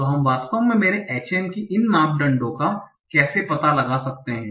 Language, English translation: Hindi, So how do I actually find out these parameters of my HM